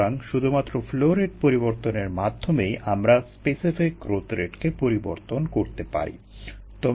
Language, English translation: Bengali, so just by changing the flow rate we are able to change the specific growth rate